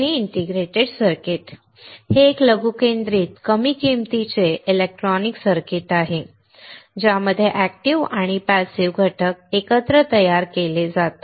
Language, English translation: Marathi, An integrated circuit is a miniaturized low cost electronic circuit consisting of active and passive components fabricated together on a substrate